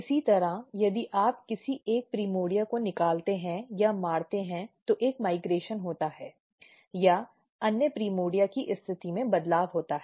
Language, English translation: Hindi, Similarly, if you remove or somehow kill the primordia one of the primordia if you look that there is a migration or there is a change in the position ofother primordia